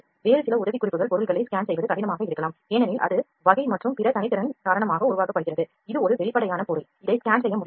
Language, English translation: Tamil, The certain other tips the objects may be difficult to scan because of the type of material it is made of because of it is color and other qualities, this is a transparent object this cannot be scanned